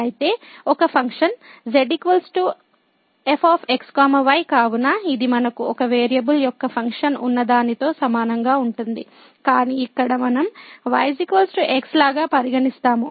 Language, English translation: Telugu, So, a function is equal to so its a similar to what we have the function of one variable, but there we consider like y is equal to function of x